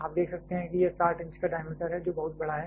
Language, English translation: Hindi, You can see it is a 60 inch diameter which is a very large one